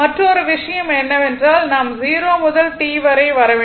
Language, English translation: Tamil, So, and the another thing is that that that we have to come from 0 to t right from 0 to T you have to come